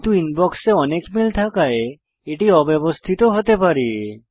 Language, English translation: Bengali, But there may be many mails in the Inbox Therefore it may be cluttered